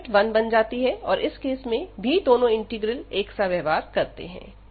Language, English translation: Hindi, So, we have this limit as 1, and in this case again for the same reason both the integrals will behave the same